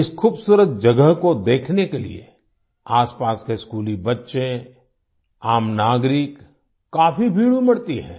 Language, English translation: Hindi, School children from the neighbourhood & common citizens throng in hordes to view this beautiful place